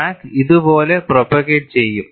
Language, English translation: Malayalam, So, crack will not propagate